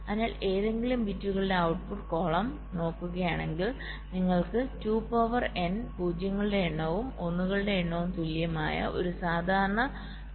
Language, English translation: Malayalam, if you look at the output column for any of the bits, see for a normal truth table where you have all two to the power, number of zeros are once are equal